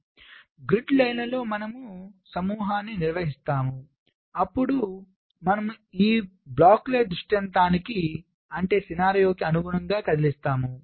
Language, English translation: Telugu, so on each of the grid lines we carry out ah grouping, then we move these blocks according to the ah scenario